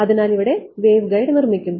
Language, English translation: Malayalam, So, here the waveguide is being made